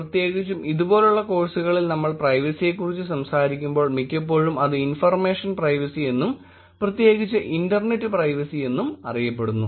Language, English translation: Malayalam, Majority of the times when we talk about privacy particularly in courses like these it is always referred to as information privacy and particularly the internet privacy